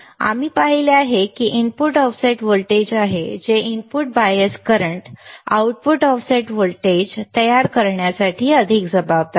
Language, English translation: Marathi, We have seen that that it is the input offset voltage which is more responsible for producing the output offset voltage rather than the input bias current right